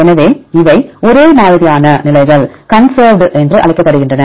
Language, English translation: Tamil, So, the positions which are the same right these are called the conserved